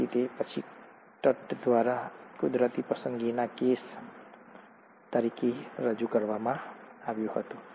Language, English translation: Gujarati, So this was then presented by Tutt as a case of natural selection